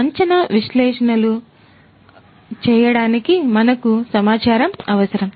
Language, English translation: Telugu, We need data to do predictive analytics